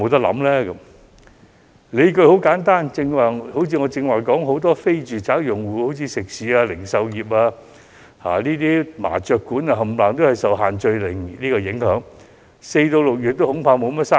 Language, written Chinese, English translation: Cantonese, 理據很簡單，正如我剛才所說，很多非住宅租戶，例如食肆、零售店鋪及麻將館，全受"限聚令"影響，恐怕4月至6月都無甚生意。, The justification is simple . As I said just now many non - domestic tenants such as eateries retail shops and mahjong parlours are affected by the group gathering ban so that their business is expected to sour in the period between April and June